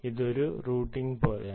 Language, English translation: Malayalam, it's like a routing